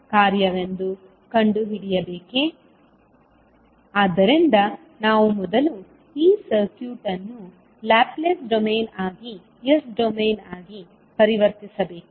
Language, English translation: Kannada, So means that we have to convert first this circuit into Laplace domain that is S domain